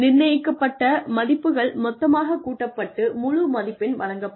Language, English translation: Tamil, The assigned values are then totaled, and a full score is given